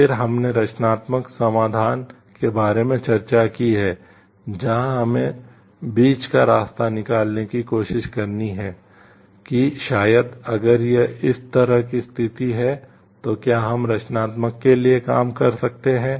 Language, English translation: Hindi, Then you have discussed about the creative solution, where you have to try to find out the middle path so, that maybe if it is situations like this then whether we can work for a creative one